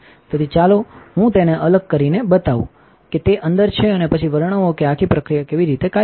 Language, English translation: Gujarati, So, let me just take it apart and show it is inside and then describe how the whole process works